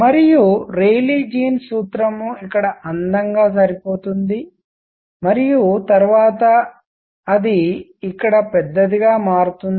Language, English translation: Telugu, And the Rayleigh Jeans formula matches beautifully out here and, but then it becomes large here